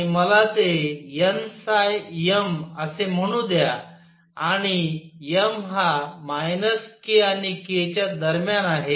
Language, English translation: Marathi, And let me call that n phi m, and m goes between minus k and k